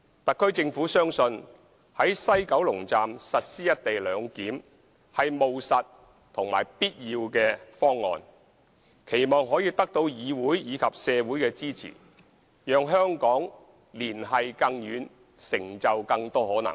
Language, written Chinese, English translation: Cantonese, 特區政府相信在西九龍站實施"一地兩檢"是務實和必要的方案，期望可以得到議會及社會的支持，讓香港連繫更遠，成就更多可能。, The SAR Government believes that the implementation of the co - location arrangement at the West Kowloon Station is a pragmatic and necessary proposal and hopes that it can obtain the support of the legislature and society so as to enable Hong Kong to achieve better connections and unleash endless potential